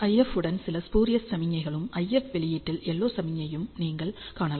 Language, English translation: Tamil, So, along with IF you see some spurious signals you also see and LO signal in the IF output